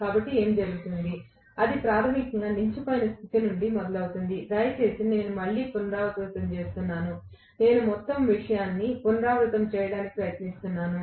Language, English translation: Telugu, So what happens it starts basically from standstill condition, please, again I am repeating, I am trying to repeat the whole thing